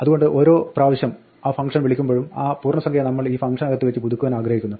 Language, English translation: Malayalam, So every time a function is called we would like to update that integer inside this function